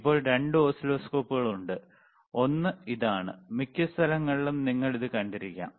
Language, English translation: Malayalam, Now there are 2 oscilloscopes, one is this one, which you may have seen in most of the most of the places right lot of places